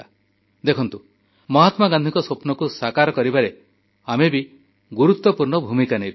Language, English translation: Odia, And witness for ourselves, how we can play an important role in making Mahatma Gandhi's dream come alive